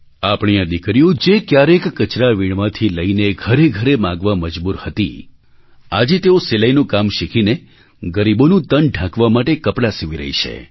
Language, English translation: Gujarati, Our daughters, who were forced to sift through garbage and beg from home to home in order to earn a living today they are learning sewing and stitching clothes to cover the impoverished